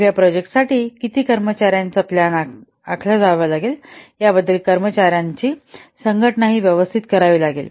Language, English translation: Marathi, Then also staff organization has to be done properly about how many staffs will be required for this project that has to be planned